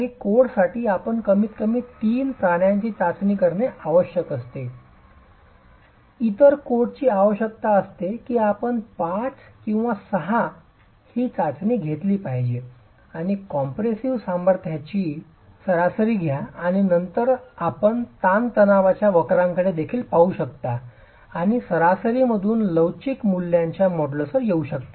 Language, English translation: Marathi, Some codes require that you test a minimum of three prisons, other codes require that you test five or six and take an average of the compressive strength and then you can also look at the stress strain curves and arrive at modulus of elasticity values from the average estimates across the set of specimens that you are testing